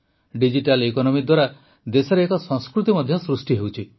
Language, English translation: Odia, A culture is also evolving in the country throughS Digital Economy